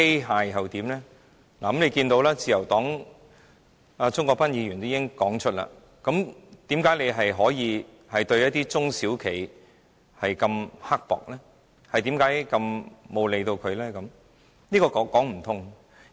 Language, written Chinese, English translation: Cantonese, 大家可以看到，自由黨的鍾國斌議員已經明言，為何當局可以對一些中小企如此刻薄，不予理會呢？, We can see that Mr CHUNG Kwok - pan of the Liberal Party has openly questioned why the authorities have been so mean to and with no regard for the small and medium enterprise SMEs